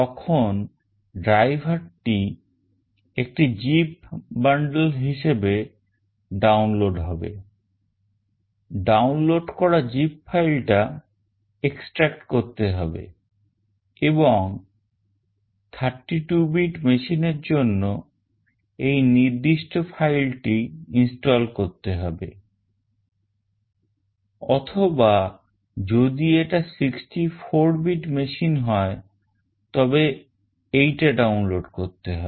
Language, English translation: Bengali, Then the driver will be downloaded as a zip bundle, extract the downloaded zip file and install this particular file for 32 bit machine, or if it is 64 bit machine then download this one